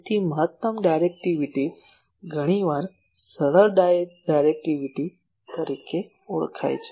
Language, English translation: Gujarati, So, maximum directivity is often referred as simply directivity